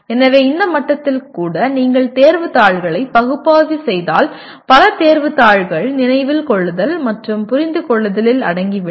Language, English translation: Tamil, so even at this level, if you analyze the examination papers, many not all, many examination papers are confined to Remember and Understand